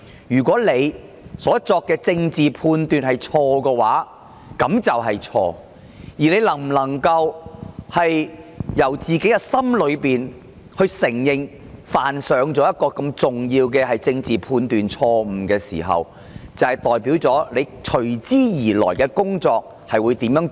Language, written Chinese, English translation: Cantonese, 如果她所作的政治判斷是錯的，而她真心承認犯了如此嚴重的政治判斷錯誤，便代表她往後的工作態度。, If she had made wrong political judgments and she truthfully admitted her serious political misjudgment her work attitude might be different in future